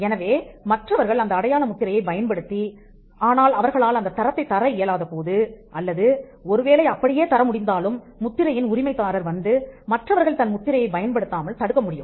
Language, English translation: Tamil, So, when others use the mark and they are not able to give the quality, even if they give the qualities still the mark holder can come and stop others from using it